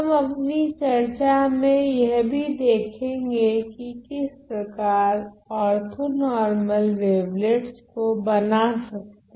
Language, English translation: Hindi, We will also see in our discussion as to how to construct orthonormal wavelets ok